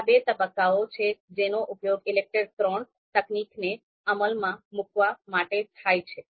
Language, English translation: Gujarati, So there are two phases which are used to you know implement ELECTRE III technique